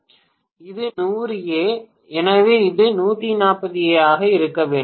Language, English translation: Tamil, 140, so this is going to be 140 amperes